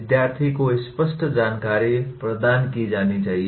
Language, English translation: Hindi, Clear information should be provided to the student